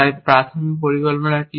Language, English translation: Bengali, So, what is the initial plan